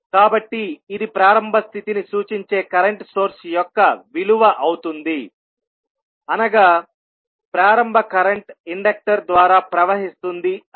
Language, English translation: Telugu, So, this will the value of a current source that will represent the initial condition that is initial current flowing through the inductor